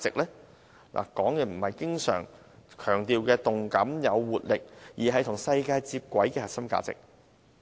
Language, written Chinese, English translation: Cantonese, 我說的不是政府經常強調的動感或活力，而是與世界接軌的核心價值。, What I am saying is not vibrancy or vitality of Hong Kong so often stressed by the Government but the core values which connect us with the rest of the world